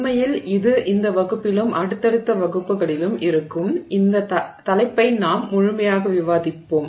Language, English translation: Tamil, Actually it will be in this class and the next subsequent classes that follow that we will completely discuss this topic